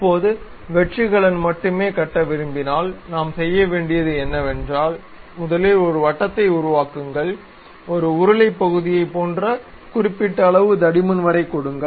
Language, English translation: Tamil, Now, if I would like to really construct only hollow cane, what we have to do is, first create a circle give something like a cylindrical portion up to certain level of thickness